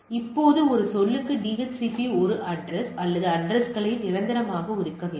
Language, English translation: Tamil, Now DHCP per say do not allocate a address or addresses permanently